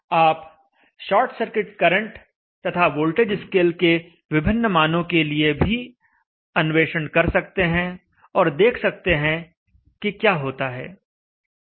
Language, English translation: Hindi, You can also explore with the different values of short circuit current and the voltage scale values and try to see what happens